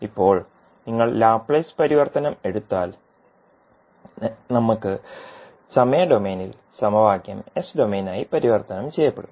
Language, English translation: Malayalam, Now, if you take the Laplace transform we get the time domain equation getting converted into s domain